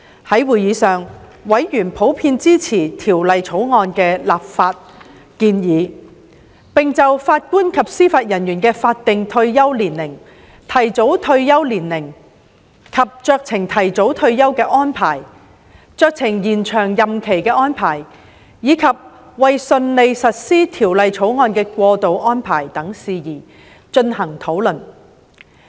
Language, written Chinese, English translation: Cantonese, 在會議上，委員普遍支持《條例草案》的立法建議，並就法官及司法人員的法定退休年齡、提早退休年齡及酌情提早退休的安排、酌情延展任期安排，以及為順利實施《條例草案》的過渡安排等事宜，進行討論。, During the meetings members generally supported the legislative proposals of the Bill and discussed issues of statutory retirement age early retirement age arrangements of discretionary early retirement and discretionary extension of JJOs transitional arrangements for the smooth implementation of the Bill etc